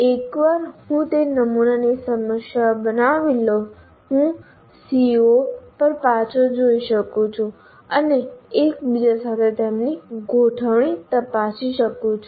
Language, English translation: Gujarati, And once I create those sample problems, I can look back at the CO, say, are there really in true alignment with each other